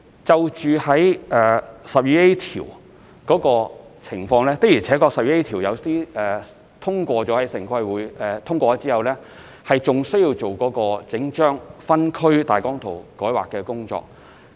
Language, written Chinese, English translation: Cantonese, 就第 12A 條的情況，有些項目的確在獲得城規會通過後，還要進行整份分區計劃大綱草圖的改劃工作。, With respect to section 12A it is true that for projects that have been approved by TPB amendments have to be made to the draft OZP